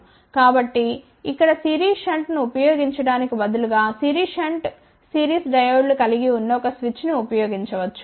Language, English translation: Telugu, So, instead of just using series shunt here is an switch which consists of series shunt series diodes ok